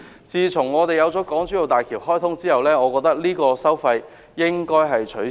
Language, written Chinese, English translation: Cantonese, 自從港珠澳大橋開通後，這收費應該取消。, Since the commissioning of the Hong Kong - Zhuhai - Macao Bridge HZMB this charge should be abolished